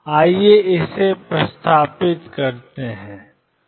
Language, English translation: Hindi, Let us substitute that